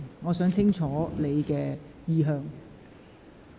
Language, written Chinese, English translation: Cantonese, 我想清楚了解你的意向。, I want to understand your intention clearly